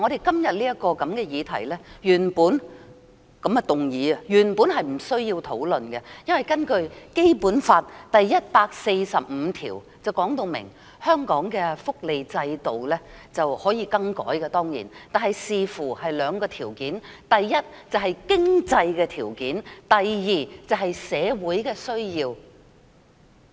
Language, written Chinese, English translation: Cantonese, 今天這項議案，原本是不需要討論的，因為《基本法》第一百四十五條訂明，香港的福利制度當然可以更改，但須端視兩項條件，第一是經濟條件，第二是社會需要。, Originally it is not necessary for us to discuss this motion today since Article 145 of the Basic Law provides that the welfare system in Hong Kong can of course be modified but it should be carried out in the light of two conditions . The first one is economic conditions whereas the second is social needs